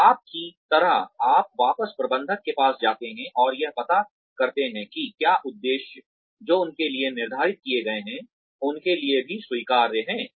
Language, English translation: Hindi, So, you sort of, you go back to the managers, and find out, whether the objectives, that have been set for them, are even acceptable to them